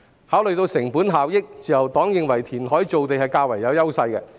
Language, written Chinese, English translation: Cantonese, 考慮到成本效益，自由黨認為填海造地較有優勢。, Considering cost - effectiveness the Liberal Party thinks that land formation by reclamation is more advantageous